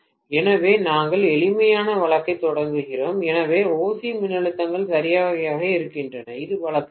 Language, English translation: Tamil, So, we are starting off with simpler case, so OC voltages are exactly the same, this is case 1